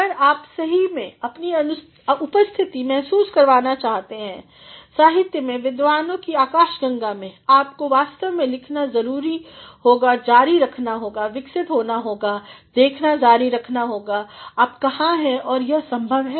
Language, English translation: Hindi, ” If you really want to make your presence felt in the literati, in the galaxy of scholars, in the galaxy of researchers, you actually have to continue to write, continue to evolve, continue to see, where you are and that is possible